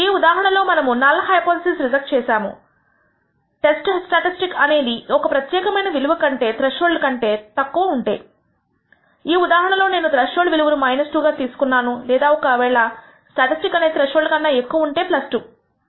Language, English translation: Telugu, So, in this case we reject the null hypothesis whether the test statistic is less than a particular value the threshold value, in this case I have chosen the threshold as minus 2, or if the statistic is greater than the threshold value, which is plus 2